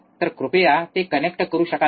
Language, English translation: Marathi, So, can you please connect it